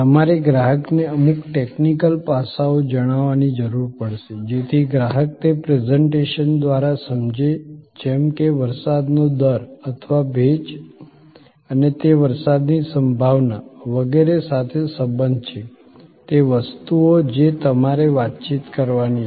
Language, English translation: Gujarati, You will need to communicate to the customer certain technical aspects, so that the customer understands the by that presentation like precipitation rate or the humidity and it is relationship with possibility of rain, etc, those things you have to communicate